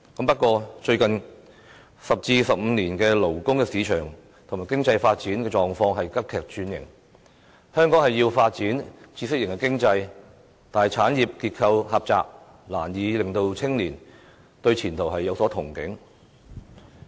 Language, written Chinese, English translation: Cantonese, 不過，香港最近10至15年的勞工市場及經濟發展狀況急劇轉型，香港需要發展知識型經濟，但產業結構狹窄，難以令青年對前途有所憧憬。, But over the past 10 to 15 years the drastic changes to Hong Kongs labour market and economy arising from the need to develop knowledge - based economic activities have led to a very narrow industrial structure that cannot give any future prospects to young people